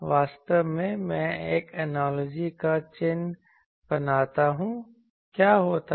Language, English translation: Hindi, Actually, I draw an analogy what happens